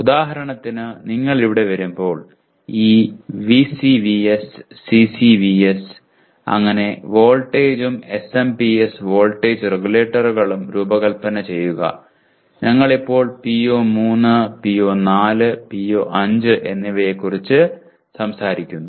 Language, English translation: Malayalam, For example when you come here, design this VCVS, CCVS and so on voltage and SMPS voltage regulators we are now talking a PO3, PO4, PO5 and these are PO3 is related to conducting investigations about complex problems